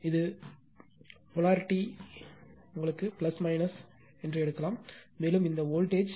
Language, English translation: Tamil, And if you want this instantaneous polarity, you can take plus minus, and this voltage is 0